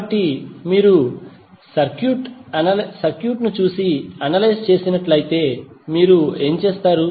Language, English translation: Telugu, So, if you see the circuit and analyse, what you will do